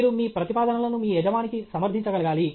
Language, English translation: Telugu, You should be able to defend your proposals to your boss